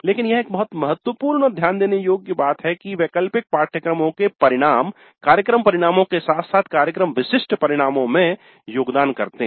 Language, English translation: Hindi, But it is very important to note that the outcomes of elective courses do contribute towards program outcomes as well as program specific outcomes